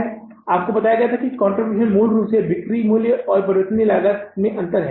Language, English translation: Hindi, I told you the contribution is basically the difference in the selling price minus the variable cost